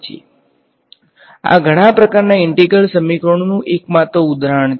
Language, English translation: Gujarati, So, this is just one example of many types of integral equations